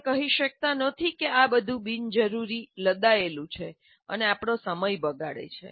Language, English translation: Gujarati, You cannot say that this is all an unnecessary imposition wasting our time